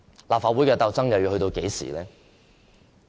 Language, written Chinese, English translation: Cantonese, 立法會的鬥爭又要到何時呢？, Until when will the struggles in the Legislative Council stop?